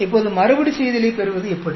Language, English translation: Tamil, Now, how do you get the repeat